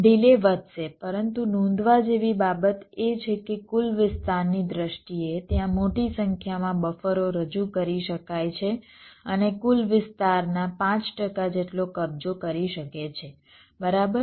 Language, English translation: Gujarati, but the point to note is that in terms of the total area, there can be a large number of buffers are introduced and it can occupy as much as five percent of the total area